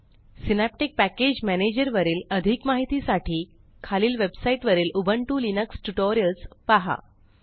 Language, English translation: Marathi, For more information on Synaptic Package Manager, please refer to the Ubuntu Linux Tutorials on this website